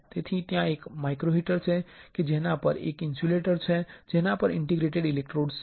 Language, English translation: Gujarati, So, there is a microheater right on which there is an insulator on which there are interdigitated electrodes